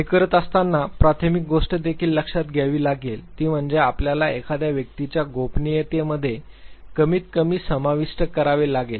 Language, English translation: Marathi, While doing this, the primary thing that also has to be taken into account is that you have to minimally include in to the privacy of the individual